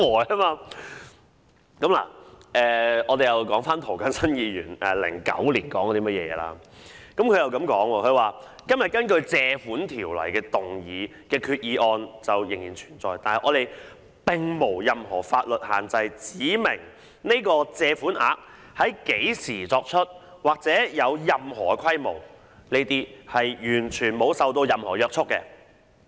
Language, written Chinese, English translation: Cantonese, 涂謹申議員早於2009年已經提出質疑，他說："只要今天根據《借款條例》動議的決議案仍然存在......我們並沒有任何法律限制指明這個基金或這項借款額在何時作出或有任何規模，是完全沒受到任何約束的。, Mr James TO already raised queries as early as in 2009 . He said As long as the resolution moved today under the Loans Ordinance still exists there is absolutely no restriction in law specifying the time when the Fund or the loan is made or whether there is any scale attached to them